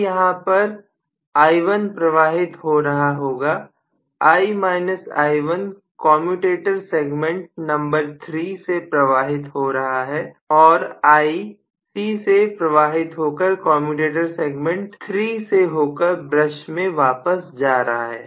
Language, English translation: Hindi, So now I am going to have again i1 is flowing here, I minus i1 is flowing through commutator segment number 3 and capital I is again flowing from C into commutator segment number 3 back to the brush